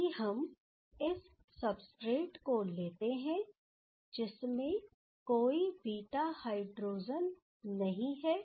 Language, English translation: Hindi, If we take this substrate, where there is no beta hydrogen